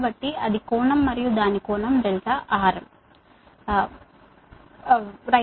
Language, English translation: Telugu, so that's angle and its angle is delta r